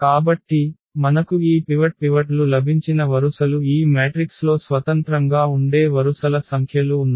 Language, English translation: Telugu, So, those rows where we got these pivots there are there are the same number of rows which are independent in this matrix